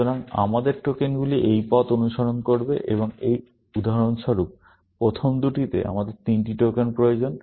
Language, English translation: Bengali, So, our tokens will follow down this path, and for example, in the first two, we need three tokens